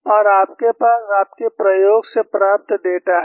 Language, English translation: Hindi, And you have the data collected from your experiment